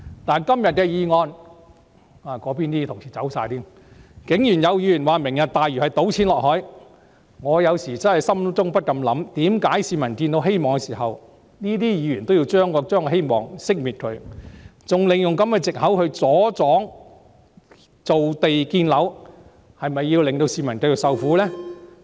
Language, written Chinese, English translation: Cantonese, 但就今天的議案——那邊的同事已全部離席——竟然有議員指"明日大嶼"計劃是倒錢落海，我不禁心想：為何當市民看到希望時，這些議員要令希望熄滅，還利用這個藉口來阻擋造地建樓，是否要令市民繼續受苦？, However regarding the motion today―all the Honourable colleagues on that side have left―to my surprise some Members alleged that the Lantau Tomorrow programme is tantamount to dumping money into the sea . I could not help wondering in my mind Just when the people see a glimpse of hope why do these Members wish to shatter their hope and use such an excuse to obstruct the creation of land and construction of housing? . Do they wish to make members of the public continue to suffer?